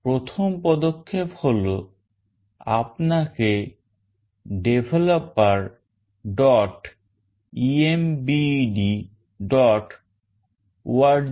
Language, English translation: Bengali, First step is you have to go to developer